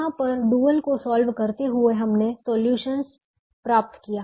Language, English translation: Hindi, by solving the dual, we got this solution